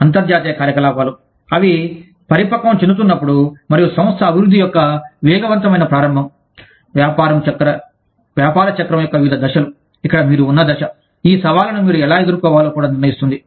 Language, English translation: Telugu, Rapid start up of international operations and organization development, as they mature through, different stages of the business cycle, where the stage, that you are at, will also determine, how you deal with these challenges